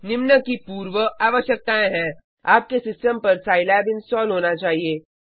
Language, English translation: Hindi, The prerequisites are Scilab should be installed on your system